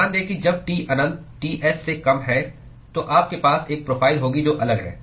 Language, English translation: Hindi, Note that when T infinity is less than Ts then you are going to have a profile which is different